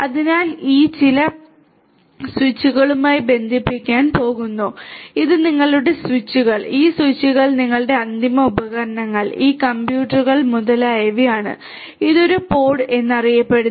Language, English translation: Malayalam, So, these are going to be connected to some switches let us say that these are your switches, these switches together with your end devices these computers etcetera this one is known as a pod this is known as a pod